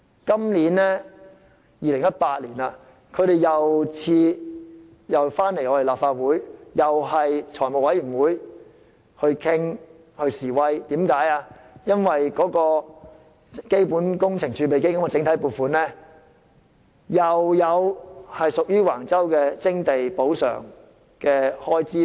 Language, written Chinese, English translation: Cantonese, 今年2018年，他們又再來立法會財務委員會示威，因為財務委員會又會再討論基本工程儲備基金整體撥款有關橫洲徵地補償的開支。, In 2018 they protested again at an FC meeting because FC would again discuss the compensation for land acquisition at Wang Chau through the block allocations mechanism under the Capital Works Reserve Fund